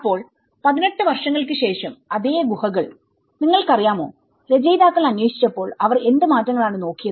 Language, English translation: Malayalam, So, the same caves 18 years after, you know, when the authors have investigated, so what changes they have looked at